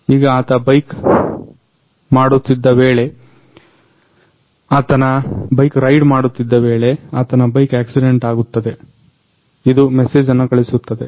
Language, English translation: Kannada, Now he is riding the bike when he will meet the accident, it will send the message